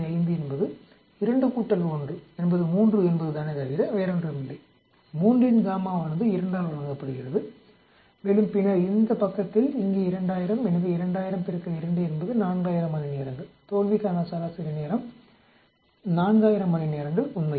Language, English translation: Tamil, 5 is nothing but 2 plus 1 is 3, gamma of 3 is given by 2 and then on this side here 2000, so 2000 into 2 is 4000 hours, mean time to failure is 4000 hours actually